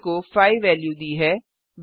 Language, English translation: Hindi, a is assigned the value of 5